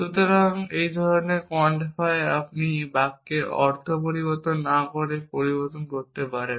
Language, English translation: Bengali, So, the quantifier of the same kind you can change without changing the meaning of the sentence